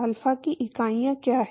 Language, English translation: Hindi, What are the units of alpha